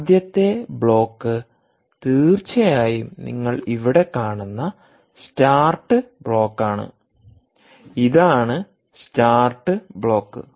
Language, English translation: Malayalam, the first block, indeed, is the start block, which you see here